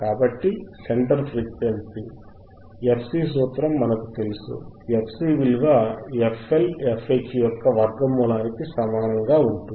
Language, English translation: Telugu, So, geometric center frequency;, we know the formula f C is nothing but square root of f L into f H right